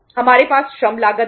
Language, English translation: Hindi, We have labour cost